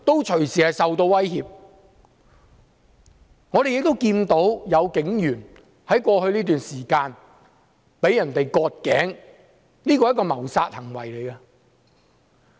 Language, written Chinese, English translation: Cantonese, 在過去這段時間，我們也看到有警員被人割頸，這是一項謀殺行為。, Over the past period we have also seen the neck of a police officer being cut which is a case of murder